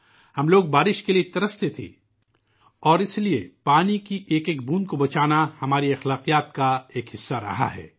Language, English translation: Urdu, We used to yearn for rain and thus saving every drop of water has been a part of our traditions, our sanskar